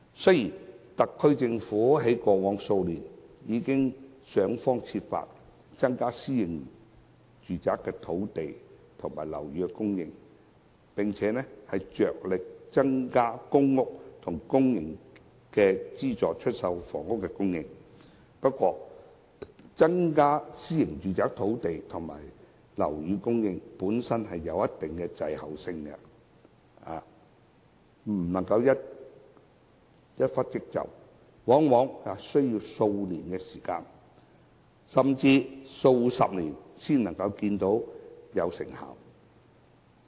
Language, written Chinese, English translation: Cantonese, 雖然特區政府在過往數年已想方設法開發土地，以增加私人樓宇、公營房屋及資助出售單位的供應，但增加私人樓宇的供應在一定程度上會有所滯後，不可以一蹴即就，往往在數年、甚至數十年後才可以看到成效。, Although the SAR Government has made every effort to develop land in the past few years to increase the supply of private flats PRH units and subsidized sale flats the increase in the supply of private flats will be lagging behind to some extent and cannot be achieved at a stroke . Very often the results will only be seen a few years or even a few decades later